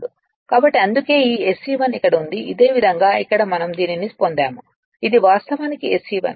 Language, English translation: Telugu, So, that is that is why this SE 1 is here so similarly here it is we have derived it from that your what you call from this one this is actually SE 1